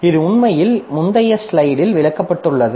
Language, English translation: Tamil, So, this is actually explained in the previous slide that we had